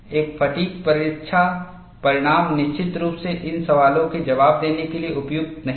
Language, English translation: Hindi, A fatigue test result is definitely not suitable to answer these questions